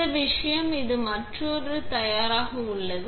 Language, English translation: Tamil, This thing is that it is ready for another one